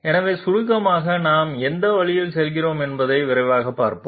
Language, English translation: Tamil, So to sum up let us have a quick look at the way in which we are moving